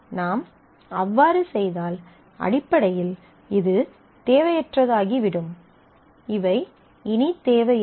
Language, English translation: Tamil, If we do that then basically this become redundant these are no more required